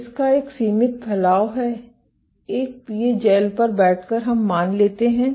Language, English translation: Hindi, It has a finite spread, sitting on a PA gel let us assume